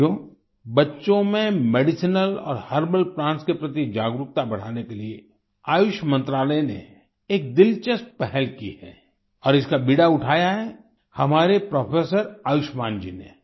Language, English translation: Hindi, the Ministry of Ayush has taken an interesting initiative to increase awareness about Medicinal and Herbal Plants among children and Professor Ayushman ji has taken the lead